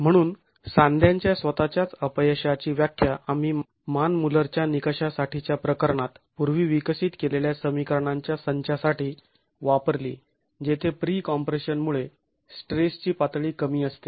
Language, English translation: Marathi, So, we use this definition of failure of the joint itself to the set of equations that we have developed earlier for the Manmuller criterion in the case where the level of stress is due to pre compression is low